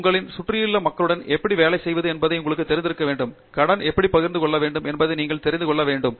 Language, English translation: Tamil, You should know how to work with the people around you and you should know how to share credit